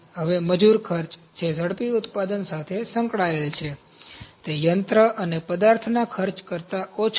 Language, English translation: Gujarati, Now, labour costs, those are associated with rapid manufacture are lower than those for machine and material costs